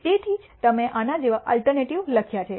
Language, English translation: Gujarati, That is why you have written the alternative like this